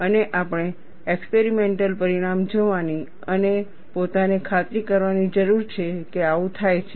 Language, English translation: Gujarati, And we need to see the experimental result and re convince ourself this is what happens